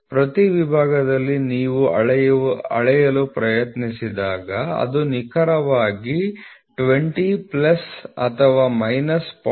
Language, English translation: Kannada, At every section when you try to measure it will be exactly 20 plus or minus 0